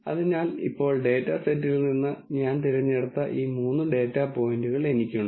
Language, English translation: Malayalam, So, now, I have these three data points that I picked out from the data set